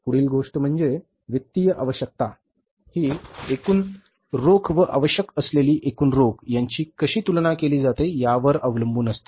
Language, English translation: Marathi, Next thing is financing requirements depend on how the total cash available compares with the total cash needed